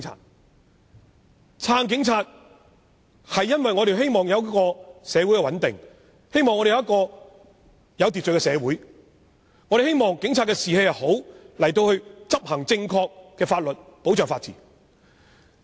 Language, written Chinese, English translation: Cantonese, 我們支持警察，因為我們希望社會穩定和有秩序，也希望警察士氣良好，能夠正確地執行法律和保障法治。, We support the Police because we hope that society will be stable and orderly . We also hope that the Police will have good morale and will be able to properly implement the law and safeguard the rule of law